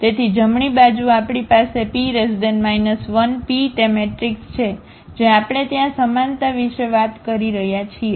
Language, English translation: Gujarati, So, the right hand side we have P inverse, P is that matrix which we are talking about the similarity there